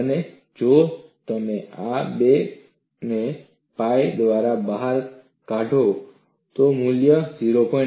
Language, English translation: Gujarati, And if you take out this 2 by pi, the value is 0